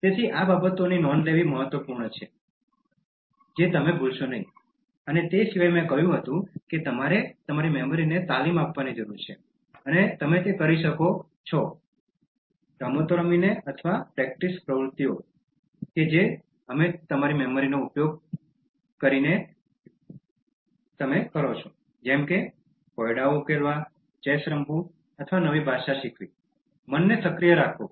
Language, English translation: Gujarati, So, it is important to note down these things, so that you don’t forget, and apart from that I said that you need to train your memory and you can do that by playing games or practice activities that we utilize your memory such as solving puzzles, playing chess and learning a new language, keep the mind active